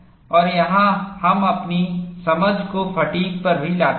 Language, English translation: Hindi, And here, we also bring in our understanding on fatigue